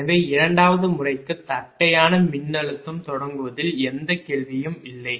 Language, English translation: Tamil, so in the second method, no question of flag voltage, start